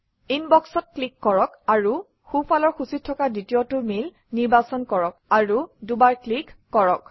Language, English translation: Assamese, Click on Inbox and from the right panel, select the second mail and double click on it